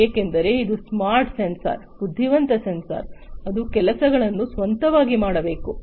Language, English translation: Kannada, Because it is a smart sensor, because it is an intelligent sensor, it has to do things on it is own